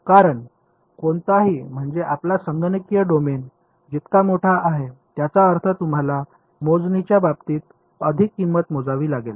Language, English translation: Marathi, Because any I mean the larger your computational domain the more price you will have to pay in terms of computation ok